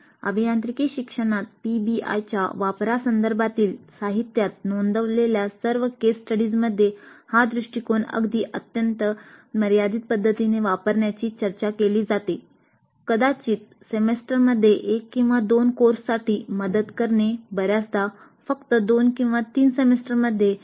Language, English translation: Marathi, All the case studies reported in the literature regarding the use of PBI in engineering education only talk of using this approach in a very very limited fashion, probably to help one or two courses in a semester, most often only in two or 3 semesters